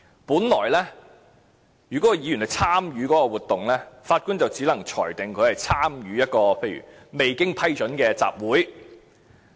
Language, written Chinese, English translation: Cantonese, 本來，如果議員參與這個活動，法官只能裁定他參與一個未經批准的集會。, Originally the judge will only rule that the Member has participated in an unauthorized assembly if he has taken part in that movement